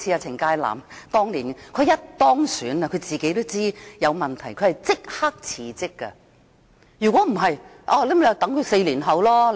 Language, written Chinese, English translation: Cantonese, 程介南當年當選後，他知道有問題便立即辭職，否則選民便要等待4年。, By the time Gary CHENG was elected he knew that there would be problems so he resigned immediately . Otherwise electors would have to wait for four years